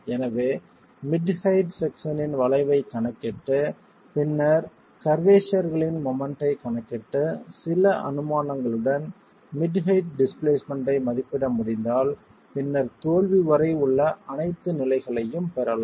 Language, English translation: Tamil, So if we can calculate the curvature of the mid height section and then estimate the moments from the curvature and the displacement at mid height with certain assumptions on the curvature distribution, we can then get all stages up to failure